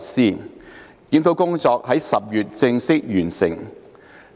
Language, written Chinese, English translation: Cantonese, 整個檢討工作於10月正式完成。, The whole review was formally completed in October